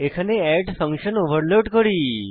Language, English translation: Bengali, Here we overload the function add